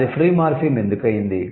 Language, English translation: Telugu, Why it is a free morphem